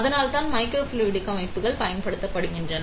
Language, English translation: Tamil, So, that is why microfluidic systems are used